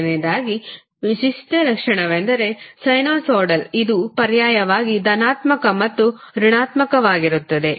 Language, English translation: Kannada, Because the first the characteristic is sinusoidal, it is alternatively going positive and negative